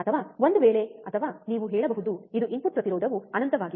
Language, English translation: Kannada, or in case of or you can say it is it is input impedance is infinitely high